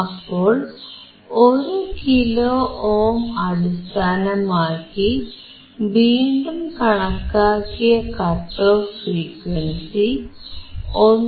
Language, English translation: Malayalam, So, we have recalculated based on 1 kilo ohm, and what we found is the cut off frequency, 1